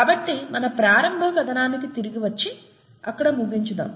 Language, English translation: Telugu, So let’s come back to our initial story and finish up there